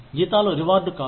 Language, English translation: Telugu, Salaries are not rewards